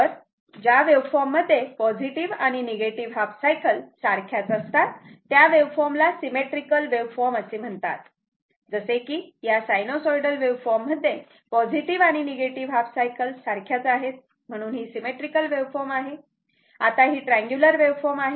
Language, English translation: Marathi, So, the wave forms the wave forms in which plus and minus half cycles are identical are referred to as the symmetrical waveform like this is sinusoidal one is plus and minus right your half cycles are identical